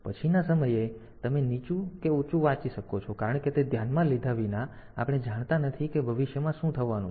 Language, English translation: Gujarati, So, irrespective of whether you are reading a low or a high at the next point of time; since we do not know that in what is going to happen in future